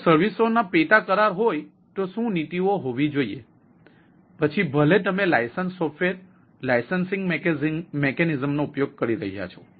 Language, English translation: Gujarati, ah, if there is a sub contract of services, what should be that policies, whether you are using license, software, licensing mechanisms and so on and so forth